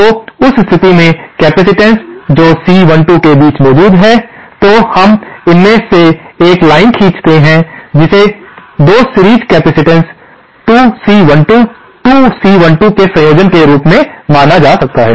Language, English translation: Hindi, So, in that case the capacitance that exist between the lines C 12, that, we draw a line through it, that can be considered as a combination of 2 series capacitances 2 C 12, 2C 12